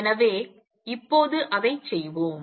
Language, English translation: Tamil, So, let us do that now